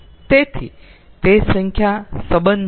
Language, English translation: Gujarati, so that is regarding the number